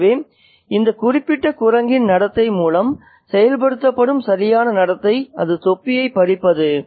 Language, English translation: Tamil, So, is corrective behavior enforced through the behavior of this particular monkey which has snatched away the cap